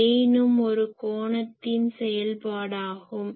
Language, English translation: Tamil, Now, gain also is an angular function